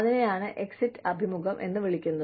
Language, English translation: Malayalam, And, that is called the exit interview